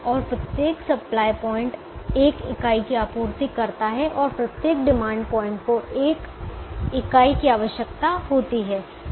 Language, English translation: Hindi, each supply points supplies only one unit and each demand point requires only one unit